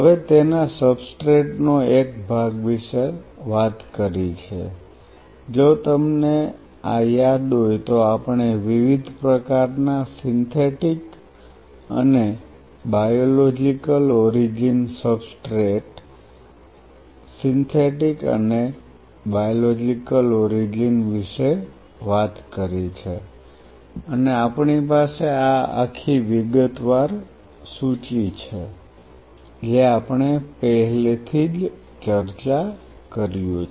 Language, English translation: Gujarati, Now part of its substrate we have talked if you remember this we have talked about different kind of Synthetic and Biological Origin substrate synthetic and biological origin and we have this whole detailed list what we have already worked out